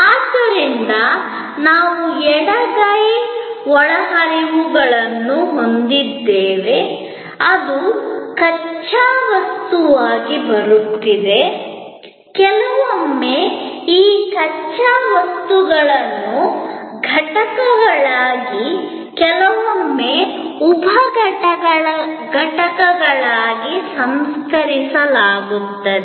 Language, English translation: Kannada, So, we have on the left hand side inputs, which are coming as raw material, sometimes these raw materials are processed as components, sometimes as sub systems